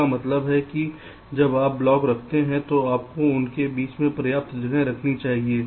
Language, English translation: Hindi, it means that when you place the blocks you should keep sufficient space in between